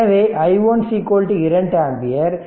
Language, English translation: Tamil, So, i 1 is equal to 2 ampere right